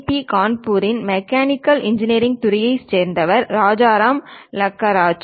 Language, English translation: Tamil, I am Rajaram Lakkaraju from Department of Mechanical Engineering, IIT Kharagpur